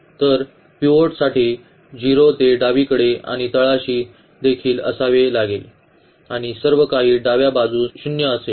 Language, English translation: Marathi, So, for the pivot it has to be 0 to the left and also to the bottom and everything to the left has to be 0